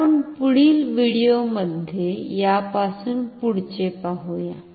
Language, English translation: Marathi, So, we will continue from this in our next video